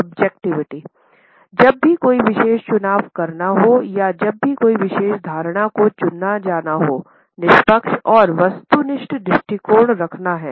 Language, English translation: Hindi, Now whenever a particular choice is to be made or whenever a particular assumption is to be chosen, unbiased and objective view is to be taken